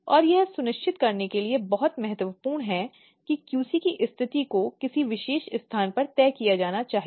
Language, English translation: Hindi, And this is very important to ensure that a position of QC has to be fixed at a particular place